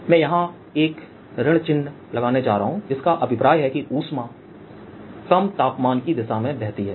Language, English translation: Hindi, i am going to put a minus sign here because that tells you that flows in the direction of lowering temperature